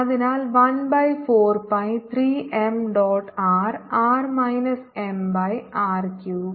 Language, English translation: Malayalam, so one by four pi three m dot r r minus m by r cube